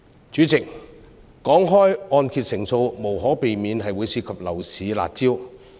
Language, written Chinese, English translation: Cantonese, 主席，談到按揭成數，無可避免會涉及樓市的"辣招"。, President talking about the LTV ratio we have to deal with the anti - speculation curb measures of the property market